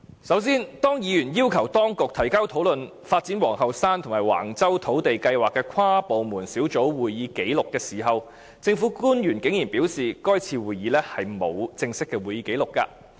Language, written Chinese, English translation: Cantonese, 首先，當議員要求當局提交討論發展皇后山及橫洲土地計劃的跨部門小組會議紀錄時，政府官員竟然表示該次會議沒有正式的會議紀錄。, First when Members asked the authorities to provide the minutes of meeting of the interdepartmental task force on land development at Queens Hill and Wang Chau government officials dared say that there was no formal record for that meeting